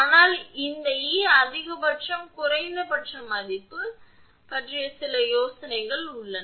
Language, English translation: Tamil, But, some ideas you have regarding this E max, minimum value of E max